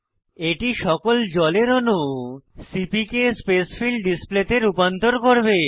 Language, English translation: Bengali, This will convert all the water molecules to CPK Spacefill display